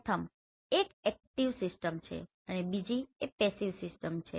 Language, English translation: Gujarati, First one is active system and next one is passive system